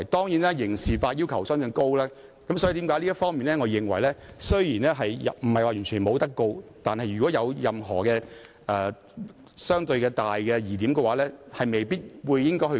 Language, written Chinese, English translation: Cantonese, 由於刑事法的要求相對高，所以即使我認為並非不是完全不能提出檢控，但如果存在相對大的疑點時，當局也未必會提出檢控。, Though I consider prosecution is not totally unjustified due to the relatively high requirements in criminal law the authorities may not initiate persecution if there is considerable doubt in the case